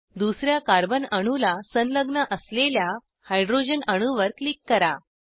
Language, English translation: Marathi, Click on the hydrogen atom attached to the second carbon atom